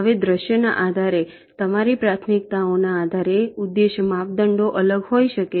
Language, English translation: Gujarati, now, depending on the scenario, depending on your priorities, the objective criteria may be different